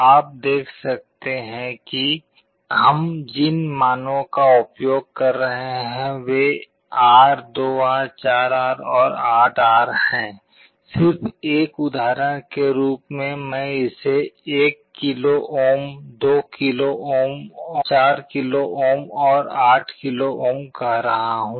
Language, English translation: Hindi, You see the values we are using are R, 2R, 4R and 8R just as an example I am showing it to be 1 kilo ohm, 2 kilo ohm, 4 kilo ohm and 8 kilo ohm